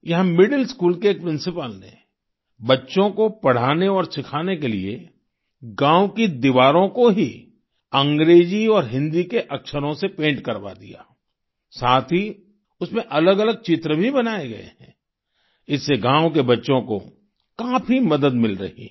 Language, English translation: Hindi, A principal of a middle school there, in order to teach and help the children learn, got the village walls painted with the letters of the English and Hindi alphabets ; alongside various pictures have also been painted which are helping the village children a lot